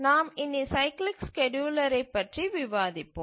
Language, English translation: Tamil, So, let's look at the cyclic scheduler